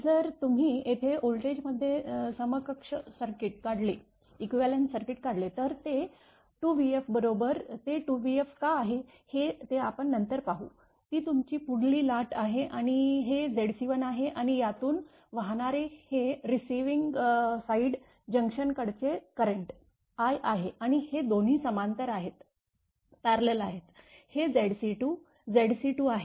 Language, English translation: Marathi, If you draw the equivalent circuit here in voltages here coming 2 v f later we will see why it is 2 v f right, that is your forward wave and this is Z c 1 and current through this at the receiving side is i this is the junction and these two are in parallel therefore, it is Z c 2, Z c 2